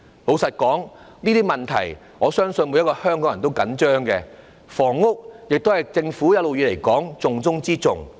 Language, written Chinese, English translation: Cantonese, 老實說，我相信每個香港人也着緊這些問題，而房屋問題一直是政府的重中之重。, Frankly speaking I believe each and every Hong Kong resident cares about these problems and the housing problem has all along been the top of all priority tasks of the Government